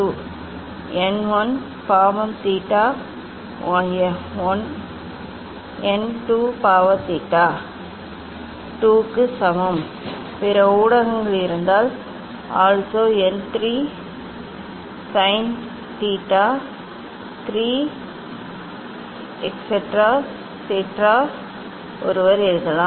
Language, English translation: Tamil, n 1 sin theta 1 equal to n 2 sin theta 2, if other mediums are there, then also n 3 sin theta 3 etcetera, etcetera one can write